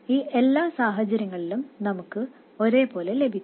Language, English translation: Malayalam, In all these cases we will get exactly the same